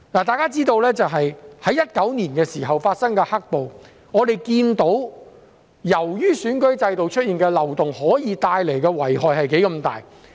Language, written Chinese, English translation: Cantonese, 大家知道，我們從2019年發生的"黑暴"看到，選舉制度出現漏洞可以帶來多大的遺害。, We all know as evidenced by the black - clad violence in 2019 how much damage the loopholes in the electoral system can do